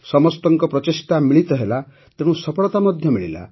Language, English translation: Odia, When everyone's efforts converged, success was also achieved